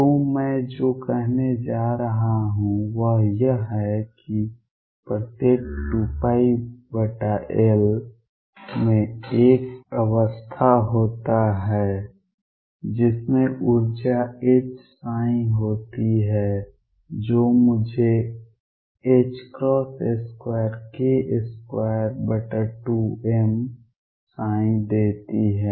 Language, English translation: Hindi, So, what I am going to say is every 2 pi over L there is a state psi, which has energy H psi which gives me h cross square k square over 2 m psi